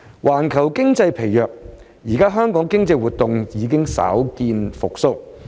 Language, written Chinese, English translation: Cantonese, 環球經濟疲弱，現時香港經濟活動稍見復蘇。, Amid a weak global economy Hong Kongs economic activities have now shown signs of recovery